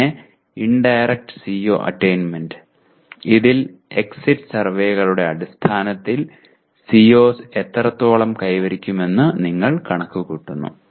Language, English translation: Malayalam, And then indirect CO attainment where based on the exit surveys you compute to what extent COs are attained